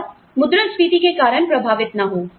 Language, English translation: Hindi, And, does not, is not affected, because of inflation